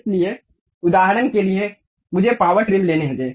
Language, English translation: Hindi, So, for example, let me pick power trim